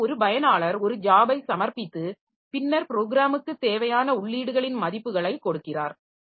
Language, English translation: Tamil, So, one job, one user has submitted a job and then giving the values of the inputs that the program needs